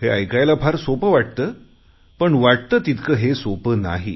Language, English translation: Marathi, It sounds very simple, but in reality it is not so